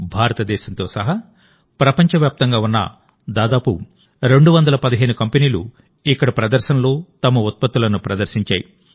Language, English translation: Telugu, Around 215 companies from around the world including India displayed their products in the exhibition here